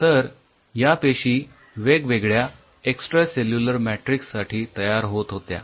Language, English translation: Marathi, so these cells were adapting to different extracellular matrix at the initially